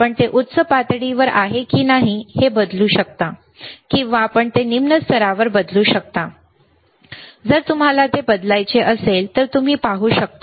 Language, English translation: Marathi, You can change the to whether it is a high level, or you can change it to low level, again if you want to change it you can see